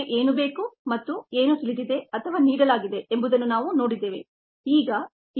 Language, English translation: Kannada, so we have seen what is needed and what are known are given